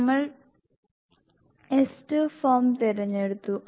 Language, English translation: Malayalam, We have opted S2 form